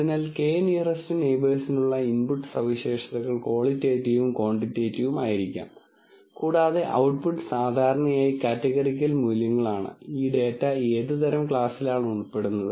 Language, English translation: Malayalam, So, the input features for k nearest neighbors could be both quantitative and qualitative, and output are typically categorical values which are what type of class does this data belong to